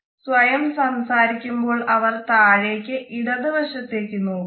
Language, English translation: Malayalam, When they are taking to themselves they look down onto the left